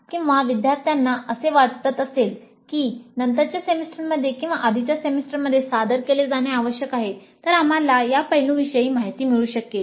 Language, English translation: Marathi, Or if the students feel that it must be offered in a later semester or earlier semester, we could get information on these aspects